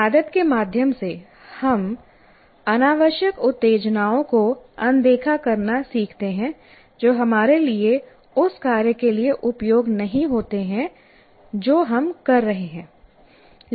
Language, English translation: Hindi, So the learning now through habituation we learn to ignore what do you call unnecessary stimuli that have no use for us for the task that we are doing